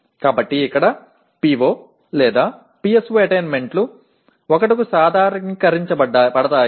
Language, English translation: Telugu, So here PO/PSO attainments are normalized to 1